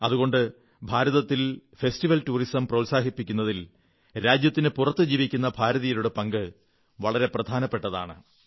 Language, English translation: Malayalam, Hence, the Indian Diaspora has a significant role to play in promoting festival tourism in India